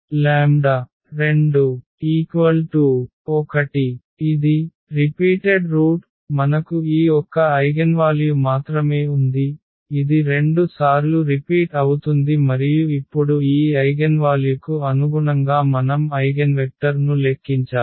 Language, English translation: Telugu, So, it is a repeated root the case of the repeated root we have only this one eigenvalue which is repeated 2 times and now corresponding to this eigenvalue we need to compute the eigenvector